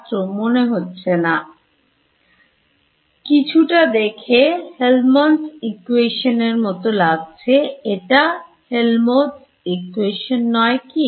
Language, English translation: Bengali, It looks a little bit like a Helmholtz equation it is not Helmholtz equation why